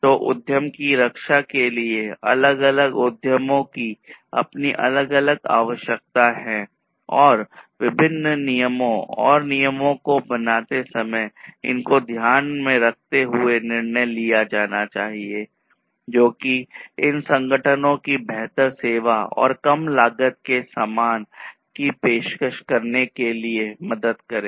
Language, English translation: Hindi, So, for protecting the enterprises, different enterprises have their own different requirements, and those will have to be taken into consideration while arriving at different regulations and rules which can be, you know, which can help these organizations these enterprises to offer better services and low cost goods